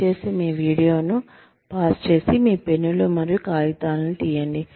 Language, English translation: Telugu, Please, pause this video, and take out your pens and papers